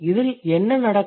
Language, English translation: Tamil, And what does it happen